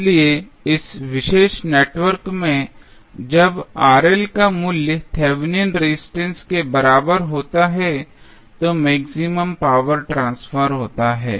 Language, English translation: Hindi, So, in this particular network, when the value of Rl is equal to Thevenin resistance, maximum power transfer happens